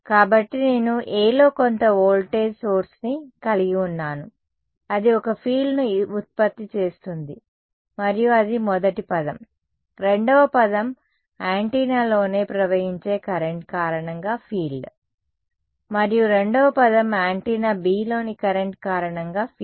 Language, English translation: Telugu, So, I have some voltage source in A which is generating a field and that is the first term, the second term is the field due to the current flowing in the antenna itself and the second term is the field due to the current in antenna B right